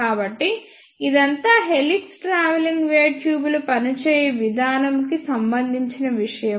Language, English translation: Telugu, So, this is all about the working of helix travelling wave tubes